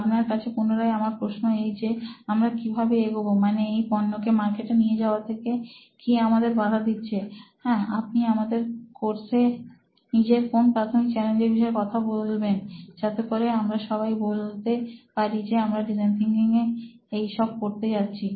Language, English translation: Bengali, So my question to you again is that how shall we move forward in that and what is stopping us from taking this product out there into the market, what are your primary challenges that you want to address out of our course here, so that we can show them that this is what we are going to do in design thinking